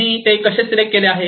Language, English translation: Marathi, How they have chosen